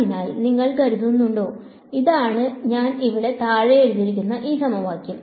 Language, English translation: Malayalam, So, do you think; so, that is this equation that I have written at the bottom over here